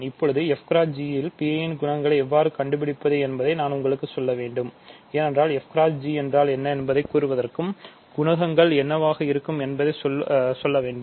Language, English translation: Tamil, Now, I need to tell you how to find the coefficients P i, because in order to tell what f g is and it to simply tell you what are coefficients are this coefficients will be described in terms of the coefficients of f and g